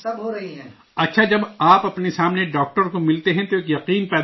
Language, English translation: Urdu, Well, when you see the doctor in person, in front of you, a trust is formed